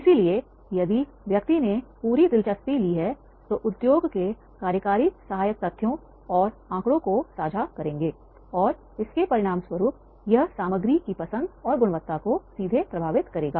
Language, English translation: Hindi, So if the person has taken full interest the industry executive then he will share the supporting facts and figures and as a result of which it will be directly influenced the choice and quality of content